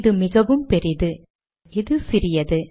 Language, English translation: Tamil, This is a lot bigger and this is smaller